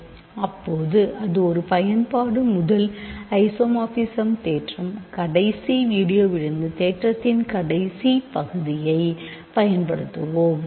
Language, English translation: Tamil, Now that is one application first isomorphism theorem let us apply the last part of the theorem from last video